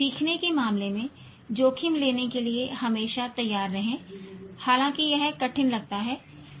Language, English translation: Hindi, Be always willing to take risks in terms of learning however difficult it looks